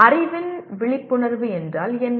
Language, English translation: Tamil, What is awareness of knowledge